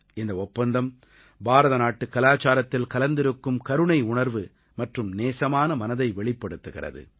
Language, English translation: Tamil, This agreement also epitomises the inherent compassion and sensitivity of Indian culture